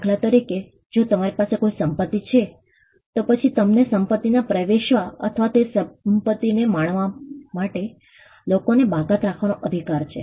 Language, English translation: Gujarati, For instance, if you own a property, then you have a right to exclude people from getting into the property or enjoying that property